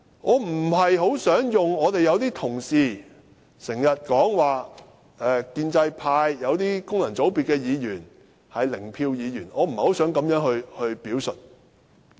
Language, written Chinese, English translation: Cantonese, 我不大想仿效有些同事所說，建制派來自功能界別的議員是"零票"議員，我不想作這樣的表述。, I do not want to echo some Members in saying that the Functional Constituency Members from the pro - establishment camp are zero - vote Members . I do not want to say so